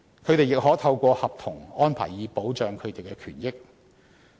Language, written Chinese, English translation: Cantonese, 他們亦可透過合約安排，以保障其權益。, They may also seek to protect their interest by contractual arrangements